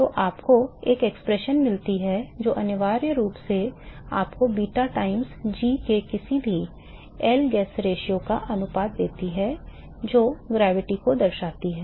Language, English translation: Hindi, So, you get an expression which essentially gives you the ratio of any L guess ratio of beta times g what does it signify gravity